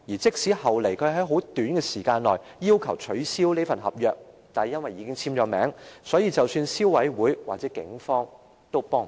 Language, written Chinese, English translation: Cantonese, 即使後來他在很短時間內已要求取消這份合約，但因為已經簽署合約，即使是消費者委員會和警方也愛莫能助。, Shortly after signing it he requested that the contract be cancelled but since the contract had already been signed the Consumer Council and the Police could not help him despite their sympathy for him